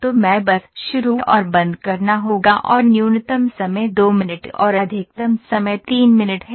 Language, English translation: Hindi, So I will just put start and stop let me say the minimum time is 2 minutes, ok and the maximum time is 3 minutes ok